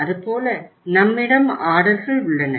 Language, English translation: Tamil, Like that we have the orders